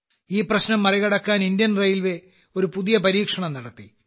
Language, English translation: Malayalam, To overcome this problem, Indian Railways did a new experiment